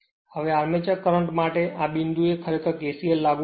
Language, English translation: Gujarati, Now armature current, this I a at this point, you apply kcl